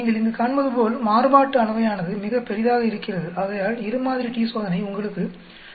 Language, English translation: Tamil, As you can see here the variation are so large that two sample t Test gives you a probability of 0